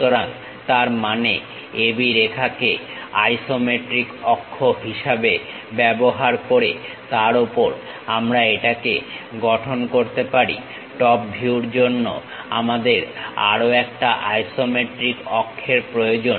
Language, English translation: Bengali, So, that means, use AB line as one of the isometric axis on that we can really construct it; for top view we require one more isometric axis also